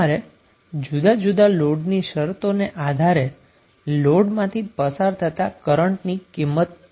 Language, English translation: Gujarati, So you need to find out the value of current through the load under various loading conditions